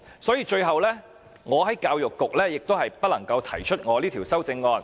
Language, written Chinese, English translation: Cantonese, 所以，我最後亦不能就教育局提出這項修正案。, That is why I did not manage to propose this amendment in the end